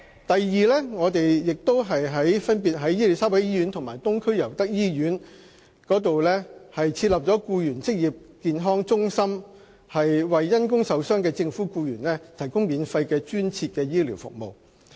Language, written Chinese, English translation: Cantonese, 第二，政府在伊利沙伯醫院和東區尤德夫人那打素醫院設立政府僱員職康中心，為因公受傷的政府僱員提供免費的專設醫療服務。, Second the Government has established Occupational Health Centres OHCs in Queen Elizabeth Hospital and Pamela Youde Nethersole Eastern Hospital to provide dedicated free medical treatment for government employees suffering from IOD